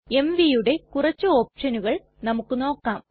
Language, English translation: Malayalam, Now let us see some options that go with mv